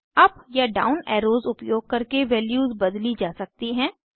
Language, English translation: Hindi, Values can be changed by using the up or down arrows